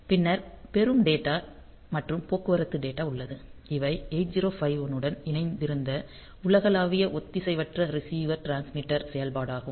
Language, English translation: Tamil, Then there is receive data and transit data; so, these are the universal asynchronous receiver transmitter operation that 8051 has integrated with it